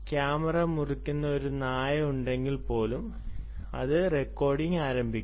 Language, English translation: Malayalam, even if there is a dog which cuts the camera, its going to start recording